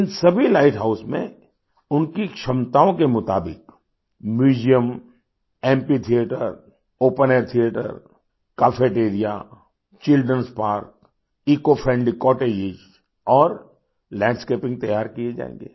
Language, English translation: Hindi, In all these light houses, depending on their capacities, museums, amphitheatres, open air theatres, cafeterias, children's parks, eco friendly cottages and landscaping will bebuilt